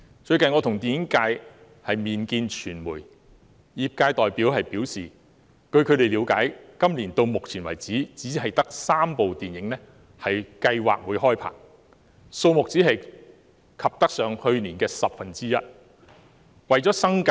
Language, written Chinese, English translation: Cantonese, 最近，我和電影界人士會見傳媒，業界代表表示，據他們了解，今年到目前為止只得3齣電影計劃開拍，數目只及去年的十分之一。, Recently members of the film industry and I have met with the media . Representatives of the industry said that to their knowledge so far there are only three movies planned to be filmed this year . The number is only one tenth of that last year